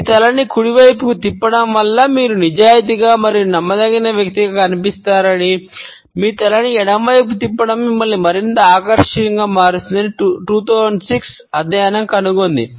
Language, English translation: Telugu, A 2006 study found that tilting your head to the right makes you appear honest and dependable, and tilting your head to the left makes you more attractive